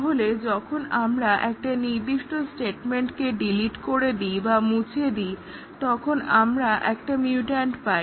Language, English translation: Bengali, So, when we delete a specific statement, we get a mutant